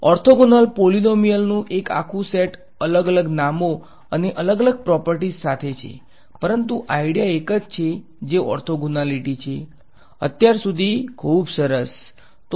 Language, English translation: Gujarati, There is a entire family of orthogonal polynomials with different different names and different properties, but the idea is the same orthogonality between functions ok; so far so good